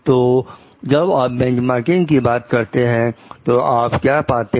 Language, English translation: Hindi, So, what you find like when you are talking of benchmarking